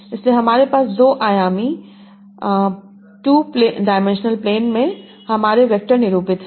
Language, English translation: Hindi, So I have my vectors denoted in a two dimensional plane